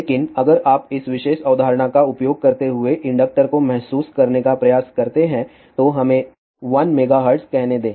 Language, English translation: Hindi, But if you try to realize inductor using this particular concept at let us say 1 megahertz